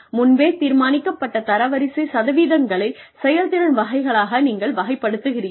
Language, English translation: Tamil, You place, predetermined percentage of ratees into performance categories